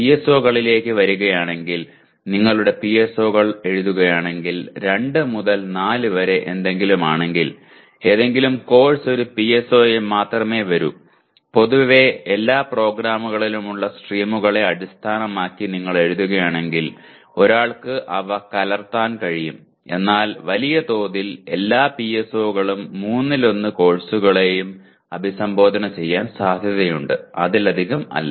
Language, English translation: Malayalam, And coming to PSOs if you write your PSOs let us say something like 2 to 4 any course will come only under 1 PSO; generally if you write based on the streams that every program has, though one can mix those, but by and large, all PSOs are likely be addressed by one third of the courses, not more than that